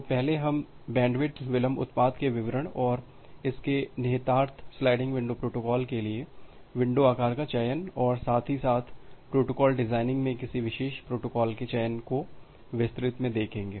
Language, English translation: Hindi, So, first we look into the details of bandwidth delay product and its implication over the selection of window size for sliding window protocol as well as the choice of choice of particular protocol in protocol designing